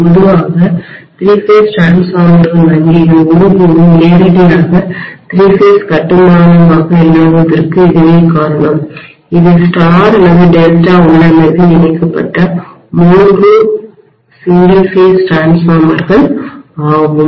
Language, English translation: Tamil, So that is the reason why normally three phase transformers banks are never directly three phase construction it is three single phase transformers connected in star or delta configuration